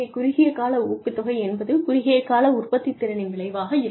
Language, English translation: Tamil, Short term incentives are, indicative of, and a result of short term productivity